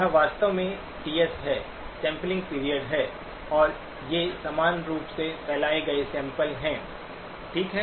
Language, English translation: Hindi, This is actually the TS, sampling period and these are uniformly spaced samples, okay